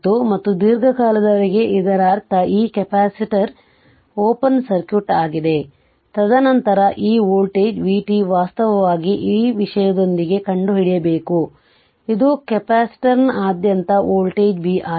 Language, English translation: Kannada, And for long time, that means this capacitor is open circuited, and then voltage your this voltage v t actually you have to find out across with your this thing this this is the voltage B across the capacitor